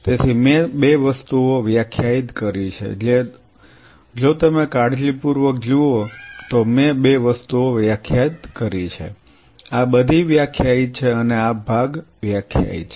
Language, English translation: Gujarati, So, I have defined 2 things, if you look at carefully I have defined 2 things this is all defined and this part is defined